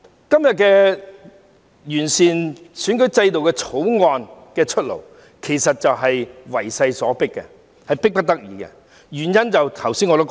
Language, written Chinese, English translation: Cantonese, 今天，為了完善選舉制度的《條例草案》出爐，其實也是為勢所逼、迫不得已的，原因我剛才也提到了。, Today the presentation of the Bill which seeks to improve the electoral system is indeed forced by circumstances and compelled by necessity the reasons for which I have just mentioned